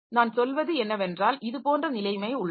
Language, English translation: Tamil, So, what I mean is that we have got the situation like this